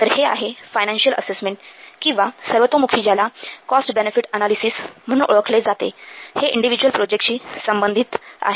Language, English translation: Marathi, So, this financial assessment or which is popularly known as cost benefit analysis, this relates to an individual project